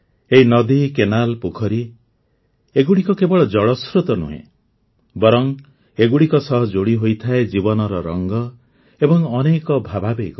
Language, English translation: Odia, Friends, these rivers, canals, lakes are not only water sources… life's myriad hues & emotions are also associated with them